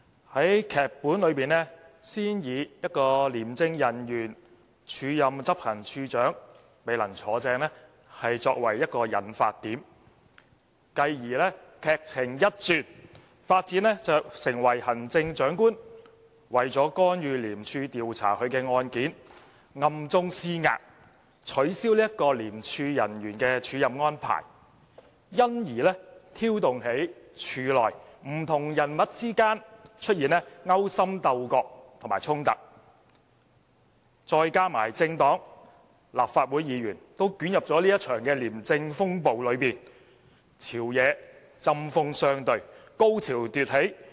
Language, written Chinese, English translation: Cantonese, 在劇本中，先以一位廉政公署人員署任執行處處長而未能"坐正"作為引發點，繼而劇情一轉，發展至行政長官為了干預廉署調查他的案件而暗中施壓，取消該名廉署人員的署任安排，因而挑動起廉署內不同人物之間出現勾心鬥角和衝突，再加上政黨和立法會議員均捲入這場廉政風暴中，朝野之間針鋒相對、高潮迭起。, It then takes a turn telling how the Chief Executive who wants to interfere with an ICAC investigation involving himself exerts clandestine pressure in order to have the officers acting appointment cancelled . This stirs up clashes and conflicts among various people in ICAC . Meanwhile various political parties and Members of the Legislative Council are also hurled into this anti - graft storm causing heated arguments between the government and the opposition and producing one climax after another